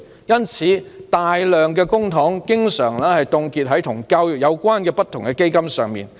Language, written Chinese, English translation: Cantonese, 因此，大量公帑經常凍結在與教育有關的不同基金上。, Therefore a large number of public funds are often frozen in different education related funds